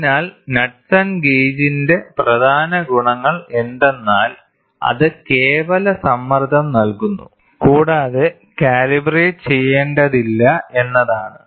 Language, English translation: Malayalam, So, the main advantages of Knudsen gauge are that it gives absolute pressure and does not need any calibration